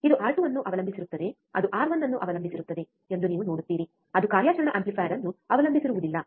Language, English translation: Kannada, You see it depends on R 2 it depends on R 1 is does not depend on the operational amplifier